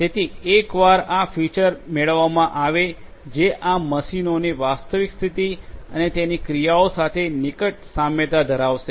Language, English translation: Gujarati, So, once these features are extracted these are the features which will have close resemblance to the actual state of these machines and their operations